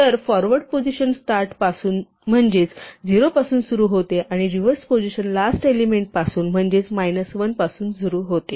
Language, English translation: Marathi, So, the forward position start from 0 from the beginning and the reverse position start from minus 1 from the last element